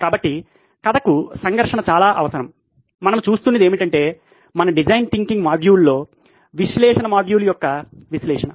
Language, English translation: Telugu, So conflict is essential to a story as much as it is to our design thinking module that we are looking at, the analysis of the Analyse module